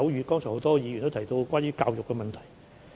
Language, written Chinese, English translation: Cantonese, 剛才很多議員也提到關於教育的問題。, Many Members have talked about issues in education just now